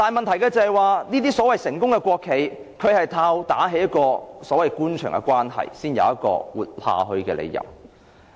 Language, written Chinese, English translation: Cantonese, 但這些所謂成功的國企，是靠打好官場關係才能生存下去的。, These so - called successful state - owned enterprises could survive only by building a good relationship with the bureaucracy